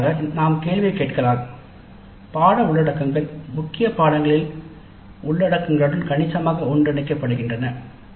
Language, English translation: Tamil, Ultimately we could ask the question the course contents overlap substantially with the contents of core courses